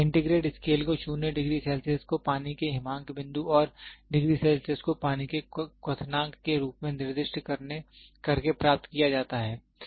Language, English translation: Hindi, The centigrade scale is obtained by assigning 0 degree Celsius to the freezing point of water and 100 degree Celsius to be boiling point of water